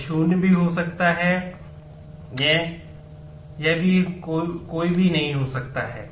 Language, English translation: Hindi, It could be null also it could be none also